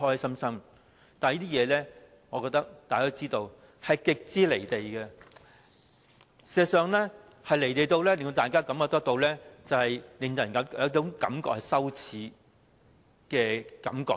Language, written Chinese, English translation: Cantonese, 不過，大家都知道這是極為"離地"的，而事實上，是"離地"得令大家有種羞耻的感覺。, However we know this is far detached from reality . In fact it is so detached from reality that it makes us feel ashamed